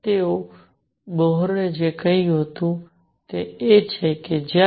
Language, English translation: Gujarati, So, what Bohr said is that when